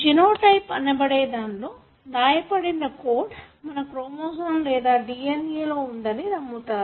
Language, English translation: Telugu, One you call as genotype which we believe there are some hidden code in your chromosome or DNA